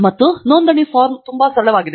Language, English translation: Kannada, And the registration form is very simple